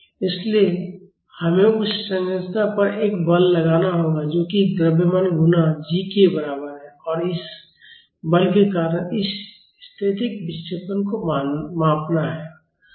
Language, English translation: Hindi, So, we have to apply a force to that structure which is equal to mass times g and measure this static deflection because of this force